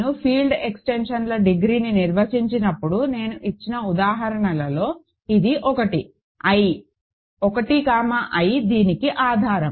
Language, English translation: Telugu, This is one of the examples I gave when I defined degree of field extensions; I, 1 comma I is a basis of this